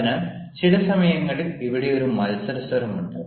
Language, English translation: Malayalam, there is a competition, so a competitive tone is there